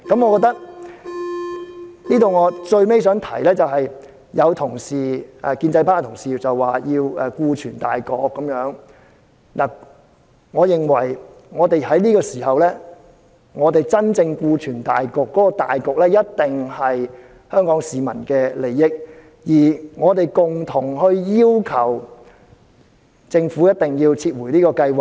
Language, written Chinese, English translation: Cantonese, 我想提出的最後一點是，有建制派同事說要顧全大局，我認為在這個時候，我們要真正顧全大局的"大局"，一定是香港市民的利益，而我們可共同要求政府撤回這項計劃。, The last point I wish to make is that some Honourable colleagues of the pro - establishment camp say we need to take the overall situation into account . I think at this juncture the genuine overall situation we need to take into account must be the interest of the people of Hong Kong and we can jointly request the Government to withdraw this plan